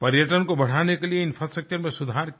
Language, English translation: Hindi, There were improvements in the infrastructure to increase tourism